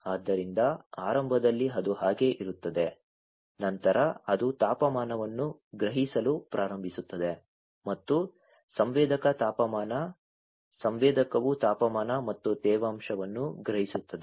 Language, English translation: Kannada, So, initially it is like that then it starts sensing the temperature and sensor temperature sensor senses the temperature and the humidity